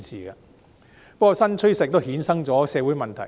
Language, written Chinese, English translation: Cantonese, 不過，新趨勢亦衍生出社會問題。, However the new trend also brings forth social problems